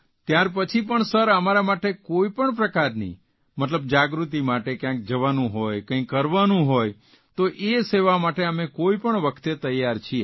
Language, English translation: Gujarati, Even then, Sir, I speak for all of us, if it is needed to go anywhere to spread awareness, or to do something, we are ready at all times